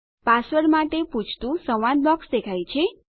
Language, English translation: Gujarati, A dialog box, that requests for the password, appears